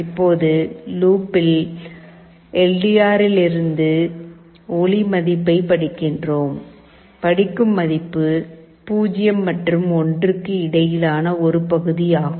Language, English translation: Tamil, Now in the while loop, we are reading the light value from the LDR; the value that is read is a fraction between 0 and 1